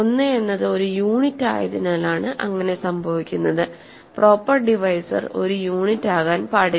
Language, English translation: Malayalam, This is because 1 is a unit, a proper divisor cannot be a unit